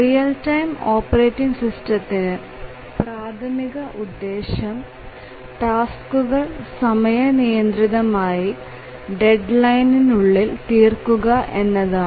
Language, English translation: Malayalam, Actually the real time operating systems the primary purpose is to help the tasks meet their deadlines